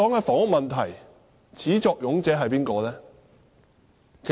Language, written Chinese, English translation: Cantonese, 房屋問題的始作俑者是誰？, Who had created the housing problem?